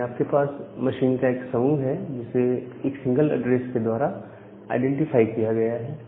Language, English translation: Hindi, So, you have a group of machines, which are being identified by a single address